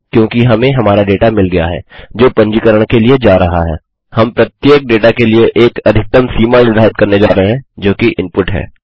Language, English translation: Hindi, Because we have got our data going to our registration, we are going to set a maximum limit for each data that is input